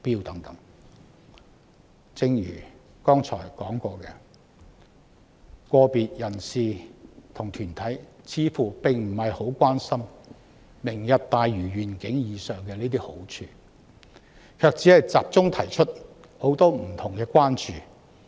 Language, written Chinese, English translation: Cantonese, 然而，正如我剛才所指，個別人士及團體似乎並不特別關心前述"明日大嶼願景"的好處，只是集中提出很多不同的關注。, However as I have just pointed out some individuals and organizations seem to have not particularly paid attention to the aforementioned merits of the Lantau Tomorrow Vision but only focused on voicing different concerns